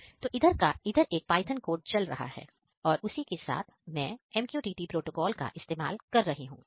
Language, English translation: Hindi, So, here one Python code is running over here, apart from this I am using the MQTT protocol